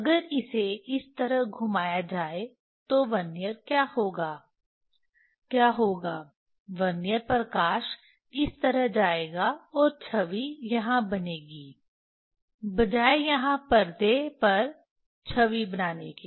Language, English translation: Hindi, If it is rotated like this, Vernier what will happen what will happen, Vernier light will go Vernier image, Vernier light will go this way and image will fall here, instead of forming image on the screen here placing here